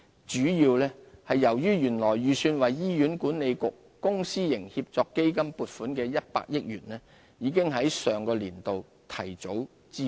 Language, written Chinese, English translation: Cantonese, 主要是由於原來預算為醫院管理局公私營協作基金撥款的100億元，已於 2015-2016 年度提早支付。, This is mainly because the 10 billion set aside for the Hospital Authority Public - Private Partnership Fund in the original estimate was advanced and allocated in 2015 - 2016